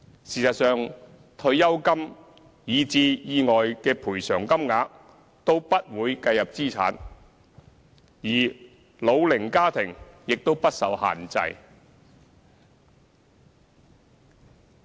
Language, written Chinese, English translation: Cantonese, 事實上，退休金以至意外的賠償金額都不會計入資產，而老齡家庭亦不受限制。, As a matter of fact retirement benefits and compensation payments for accidents are all excluded from the calculation . Elderly households are exempted from the restriction as well